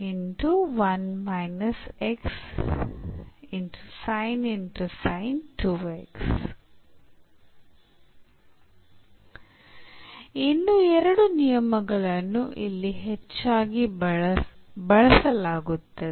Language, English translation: Kannada, There are two more rules frequently used here